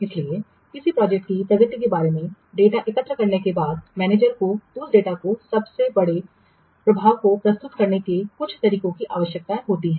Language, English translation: Hindi, So, after collecting the data about the progress of a project, the manager, he needs some way of presenting that data to the greatest effect